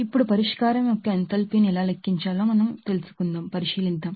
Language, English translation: Telugu, Now, let us consider another thing that enthalpy of solution how to calculate it